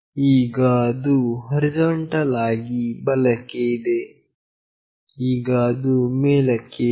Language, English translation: Kannada, Now, it is horizontally right, now it is up